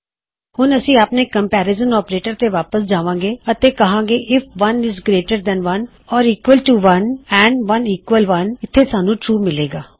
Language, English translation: Punjabi, Well go back to our comparison operators and we will say if 1 is greater than 1 or equal to 1 and 1 equal 1, here we will get true